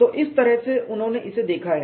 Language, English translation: Hindi, That is the way he looked at it